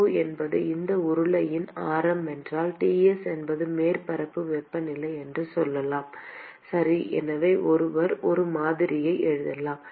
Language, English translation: Tamil, And if r0 is the radius of that cylinder and let us say that Ts is the surface temperature okay, so one could write a model